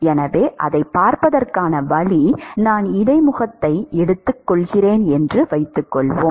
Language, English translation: Tamil, So, the way to see that is suppose I assume the interface